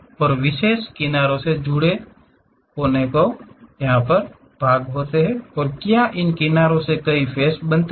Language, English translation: Hindi, And what are the vertices associated with particular edges and are there any faces forming from these edges